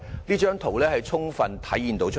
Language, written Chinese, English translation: Cantonese, 這張圖片已充分體現出來。, This photograph vividly shows how overcrowded the hospitals are